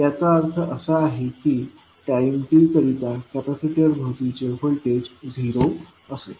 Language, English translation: Marathi, That means the voltage across capacitor at time t is equal to 0